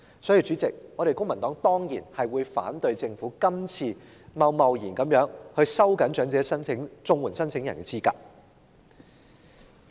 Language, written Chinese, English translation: Cantonese, 因此，主席，公民黨當然反對政府今次貿然收緊長者綜援申請人的資格。, Hence President the Civic Party definitely opposes this hasty plan of the Government to tighten the eligibility of elderly CSSA applicants